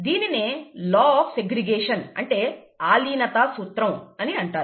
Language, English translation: Telugu, And this is called the law of segregation